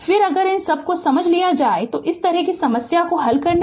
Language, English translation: Hindi, Then if you understand all these then you will not face any difficulties of solving this kind of problem so